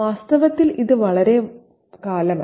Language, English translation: Malayalam, It's not a long time, in fact